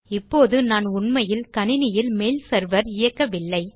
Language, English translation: Tamil, Now I am not actually running a mail server on my computer